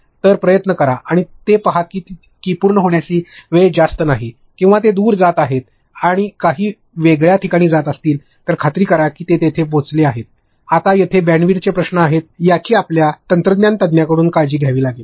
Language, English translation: Marathi, So, try and avoid that see that the completion time is not too much or if they are going to go remote or they are going to go to some different places make sure that it reaches still there, now how a bandwidth issues are there that you have to take care from your technology expert